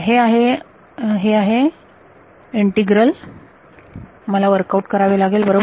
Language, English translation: Marathi, That is the that is the integral I have to work out right